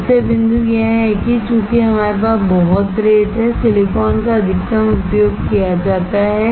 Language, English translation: Hindi, So, point is, since we have lot of sand, silicon is used maximum